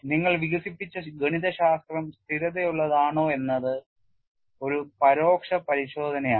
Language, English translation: Malayalam, It is an indirect check that the mathematics what you have developed is consistent, there are no contradictions